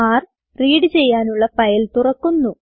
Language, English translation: Malayalam, r – opens file for reading